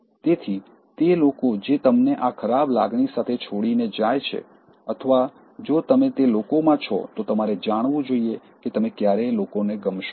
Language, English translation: Gujarati, So, those people who leave you with this bad feeling or if you are among those people, you should know that you will never be liked